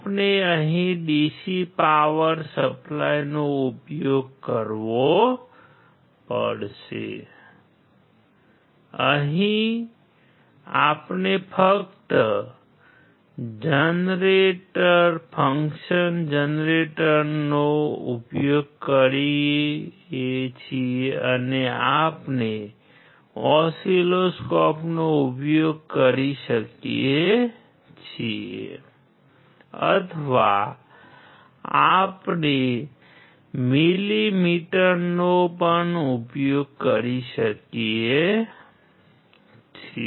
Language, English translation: Gujarati, We have to use here the DC power supply, we are here to use function generator and we can use oscilloscope or we can use millimeter